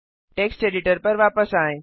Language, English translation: Hindi, Switch back to the text editor